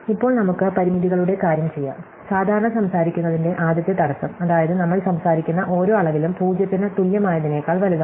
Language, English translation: Malayalam, So, let us now thing of the constraints, so the first constraint to the usual one, which is their every quantity that we are talking about is strictly greater than equal to 0